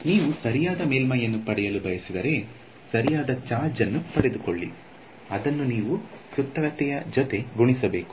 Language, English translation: Kannada, If you want to get the correct surface get the correct charge you have to multiply by the circumference or whatever